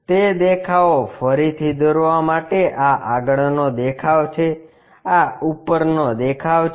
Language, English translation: Gujarati, Redrawing that views; this is the front view, this is the top view